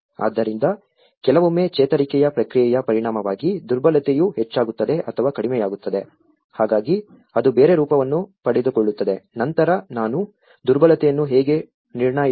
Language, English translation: Kannada, So sometimes, the vulnerability gets increased or decreased as a result of the recovery process, so that is where it takes into a different form, then I started looking at how one can assess the vulnerability